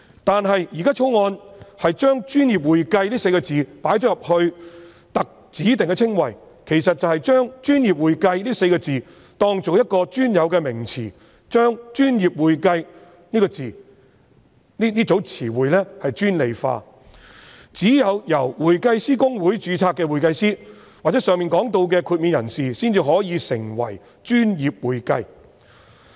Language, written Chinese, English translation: Cantonese, 但是，《條例草案》把"專業會計"列為指定稱謂，其實便是把"專業會計"視作一個專有名詞，把"專業會計"這名詞專利化，只有公會註冊的會計師或上述獲豁免的人士才可以成為"專業會計"。, However by including professional accounting as a specified description the Bill has actually regarded it as a specific term and restricted its meaning to certified public accountants registered with HKICPA or anyone who has obtained the above mentioned exemption